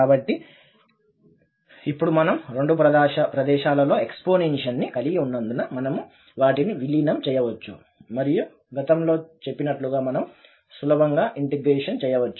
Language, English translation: Telugu, So, now since we have the exponential at both the places, we can merge them and then we can integrate easily as done previously